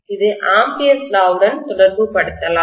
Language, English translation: Tamil, This can also be correlated by Ampere’s Law